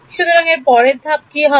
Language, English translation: Bengali, So, what is the next step